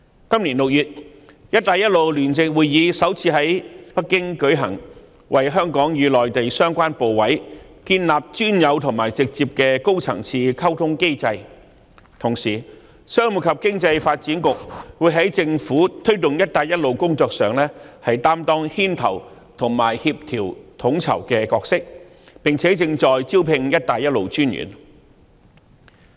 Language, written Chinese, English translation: Cantonese, 今年6月，"一帶一路"聯席會議首次於北京舉行，為香港與內地相關部委建立專有及直接的高層次溝通機制；同時，商務及經濟發展局會在政府推動"一帶一路"工作上擔當牽頭及協調統籌的角色，並且正在招聘"一帶一路"專員。, In June this year the first Belt and Road Joint Conference was held in Beijing establishing Hong Kongs unique and direct high - level communication mechanism with relevant Mainland Authorities . In the meantime the Commerce and Economic Development Bureau plays a leading and coordinating role in promoting the Belt and Road Initiative in the Government and is in the process of recruiting the Commissioner for Belt and Road